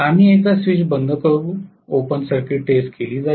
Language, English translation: Marathi, We will close the switch once; open circuit test is done